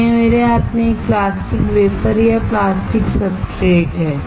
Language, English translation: Hindi, So, this is a plastic wafer or plastic substrate in my hand